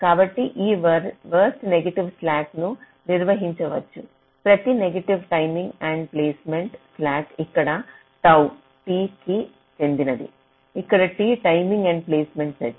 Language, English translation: Telugu, so this, this worst negative slack, can be defined as the slack for every net timing endpoints: tau, where tau belongs, to t, where t is the set of timing endpoints